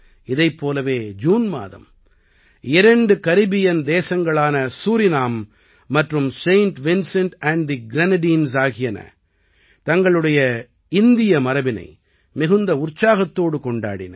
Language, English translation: Tamil, Similarly, in the month of June, two Caribbean countries Suriname and Saint Vincent and the Grenadines celebrated their Indian heritage with full zeal and enthusiasm